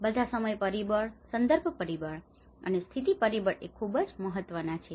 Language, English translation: Gujarati, these all the time factor, the context factor and the position factor is very important